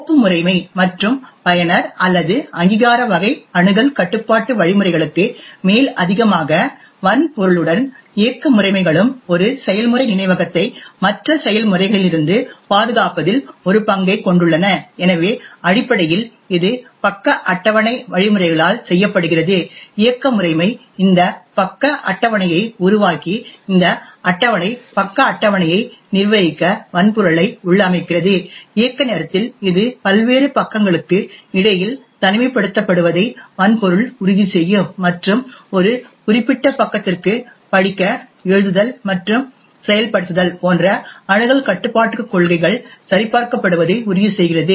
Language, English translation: Tamil, In addition to the file system and user or authentication type of access control mechanisms, operating systems along with the hardware also plays a role in protecting one processes memory from other processes, so essentially this is done by the page table mechanisms, while the operating system creates this page tables and configures the hardware to manage this table page tables, it is the hardware which actually ensures the isolation between the various pages and also ensures that the access control policies such as read, write and execute to a particular page is verified at runtime